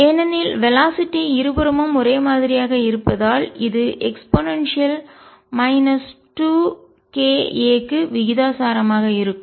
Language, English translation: Tamil, Because the velocity is the same on both sides comes out to be proportional to e raise to minus k 2 k a